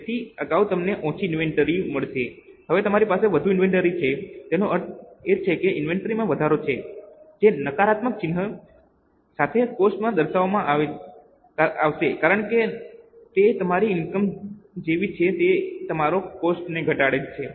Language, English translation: Gujarati, That means there is an increase in the inventory that will be shown in the expenses with the negative sign because it is like your income, it reduces your expense